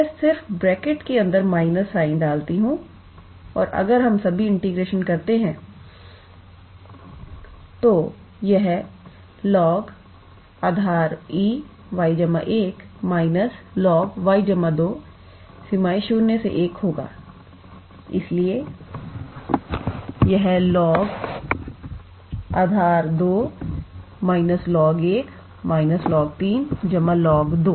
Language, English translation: Hindi, I just put the minus sign inside the bracket and if we integrate now, then this will be log of y plus 1 to the base e minus log of y plus 2 to the base e integral from 0 to 1